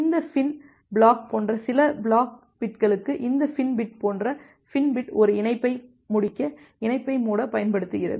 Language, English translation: Tamil, Just for the few flag bits like this FIN flag FIN bit like this FIN bit is used to close connection to finish a connection